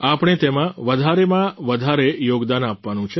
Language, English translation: Gujarati, We have to contribute our maximum in this